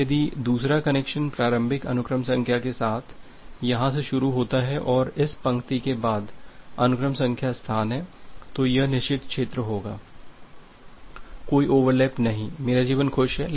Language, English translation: Hindi, Now, if the second connection starts from here with the initial sequence number and follow this line the sequence number space, then this would be the forbidden region, there is no overlap my life is happy